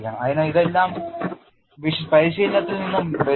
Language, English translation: Malayalam, So, all that comes from practice